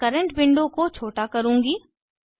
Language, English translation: Hindi, I will minimize the current window